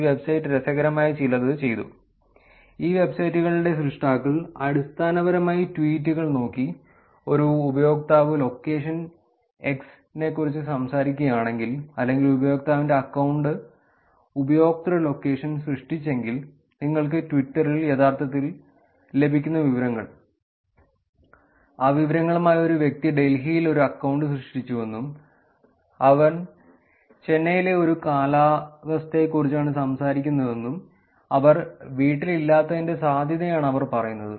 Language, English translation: Malayalam, This website did something interesting which is p l e a s e r o b dot robbed and me dot com please rob me dot com the creators of this websites basically looked at the tweets and if a user talks about location x or if the user created the account user location that is the information that you will actually get in Twitter, with that information they were actually saying that a person created an account in Delhi and he is talking about a weather in Chennai that is a probability that he is not he is not at home